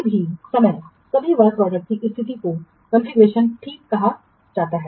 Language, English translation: Hindi, The state of all work products at any point of time is called the configuration